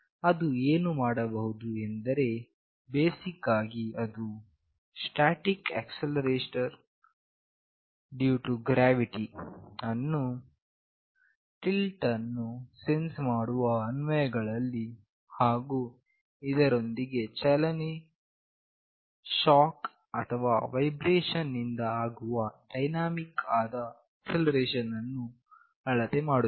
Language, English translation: Kannada, What it can do basically it can measure the static acceleration due to gravity in tilt sensing applications as well as dynamic acceleration resulting from motion, shock or vibration